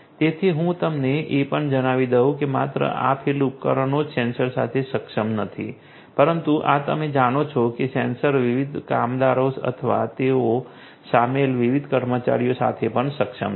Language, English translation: Gujarati, So, let me also tell you that not only this field devices are enabled with the sensors, but these are also you know the sensors are also enabled with the different workers, or the different personnel that are involved